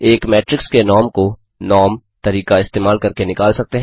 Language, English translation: Hindi, The norm of a matrix can be found out using the method norm()